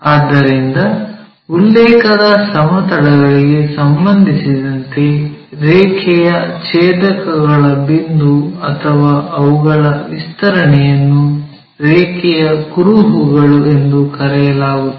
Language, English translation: Kannada, So, the point of intersections of a line or their extension with respect to the reference planes are called traces of a line